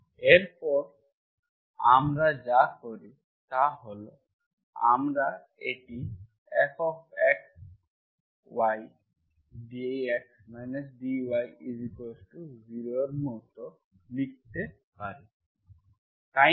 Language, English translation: Bengali, Next what we do is, this is actually we can write it like F of x,y into dx minus dy equal to 0